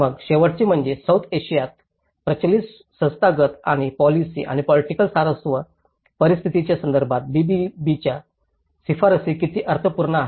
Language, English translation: Marathi, Then, the last one is how meaningful the BBB recommendations are in relation to prevalent institutional and policy and political interest scenarios in South Asia